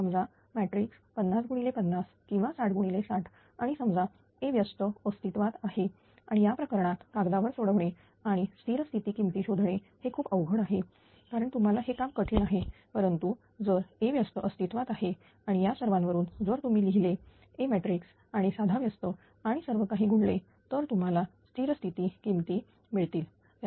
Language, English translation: Marathi, Suppose this matrix is 50 into 50 or 60 into 60 and suppose A inverse exist and in that case you will not ah mathematical on the paper it is very difficult to find out the statistic values because you have to do a laborious task, but if A inverse exists and with all this if you write the A matrix with just a simple inversion and multiplying all these you will get all the steady state values, right